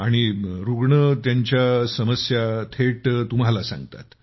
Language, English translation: Marathi, And the one who is a patient tells you about his difficulties directly